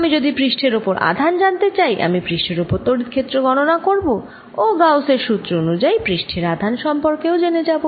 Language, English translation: Bengali, if i want to find the charge on the surface, i will find the electric field here and by gauss's law, related to the surface charge